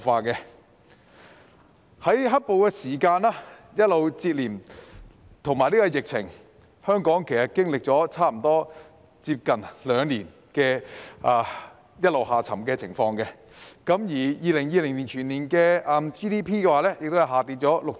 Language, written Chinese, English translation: Cantonese, 接連受到"黑暴"事件及疫情打擊，香港經歷了差不多接近兩年一直下沉的情況 ，2020 年全年的 GDP 亦下跌了 6.1%。, Suffering the successive blow of the riot and the epidemic Hong Kong has experienced decline for almost two years . The annual Gross Domestic Product in 2020 dropped by 6.1 %